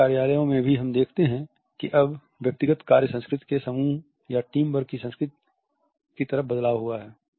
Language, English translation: Hindi, In our offices we also see that now there is a shift from the individual work culture to a culture of group or team work